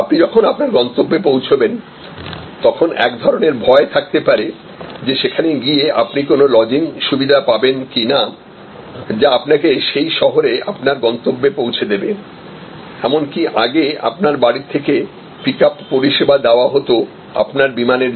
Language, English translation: Bengali, So, when you arrive at your destination there can be a certain kind of fear, where there will be a losing provided, which will drop you at your destination in that city or there could, even earlier there use to be pickup service from your home for your flight